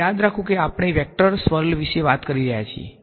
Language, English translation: Gujarati, Now remember we are talking about the swirl of a vector right